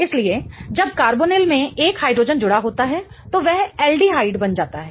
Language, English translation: Hindi, So, when a carbonyl has a hydrogen attached to it, it becomes aldehyde